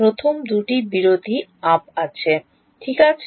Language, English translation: Bengali, First two break ups is clear ok